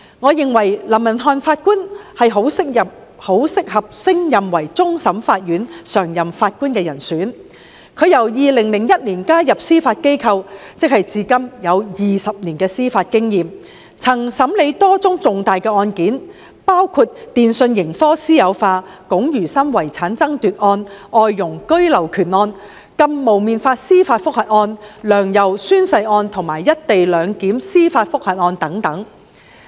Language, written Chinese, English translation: Cantonese, 我認為林文瀚法官十分適合升任為終審法院常任法官，他在2001年加入司法機構，至今已有20年司法經驗，曾審理多宗重大案件，包括電訊盈科私有化案、龔如心遺產爭奪案、外傭居留權案、禁"蒙面法"司法覆核案、"梁游"宣誓案，以及"一地兩檢"司法覆核案等。, I think it is really suitable for Mr Justice LAM to be promoted as a PJ . He joined the Judiciary in 2001 and has 20 years of judicial experience now . He has presided over a large number of major cases such as the privatization of PCCW the disputes over the estate of Ms Nina KUNG the right of abode of foreign domestic helpers the judicial review on the ban on wearing masks oath - taking by Sixtus LEUNG and YAU Wai - ching and the judicial review on the co - location arrangement